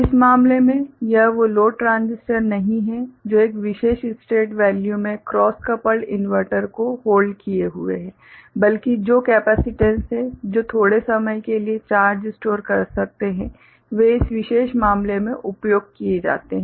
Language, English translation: Hindi, In this case, it is those load transistors are not there holding the cross coupled inverter in one particular state value, rather the capacitances that are there which can store charges for a short time, they are used in this particular case